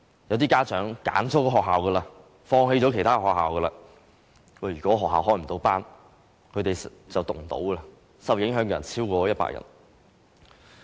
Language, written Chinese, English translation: Cantonese, 有部分家長已選擇了該校而放棄其他學校，如果學校未能開班，其子女便無法入讀，受影響的學生超過100人。, Some parents have chosen this kindergarten and given up the chances for their children to study in other kindergartens . If the kindergarten will not offer classes their children have no place to study more than 100 students will be affected